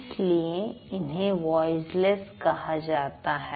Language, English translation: Hindi, That is why they are called voiceless